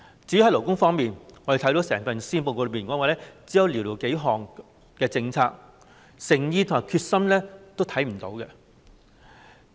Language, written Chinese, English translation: Cantonese, 至於勞工方面，我們看到整份施政報告只有寥寥數項政策，誠意和決心欠奉。, As for the labour sector we can see that policies in this area mentioned in the entire Policy Address are few and far between showing a lack of both sincerity and determination